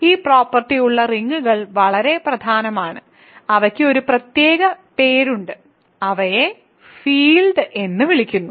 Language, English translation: Malayalam, So, rings which have this property are very important, they have a special name and they are called fields